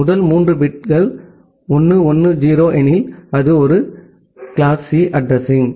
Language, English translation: Tamil, If the first three bits are 1 1 0, it is a class C address